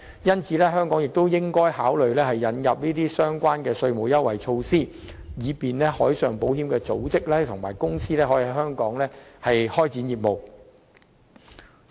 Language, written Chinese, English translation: Cantonese, 因此，香港亦應考慮引入此類稅務優惠措施，以吸引海上保險的組織/公司在香港開展業務。, Hence Hong Kong should also consider introducing this kind of tax concessions to marine insurers and brokers to attract them to set up businesses in Hong Kong